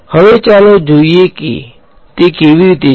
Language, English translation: Gujarati, Now, let us see how that is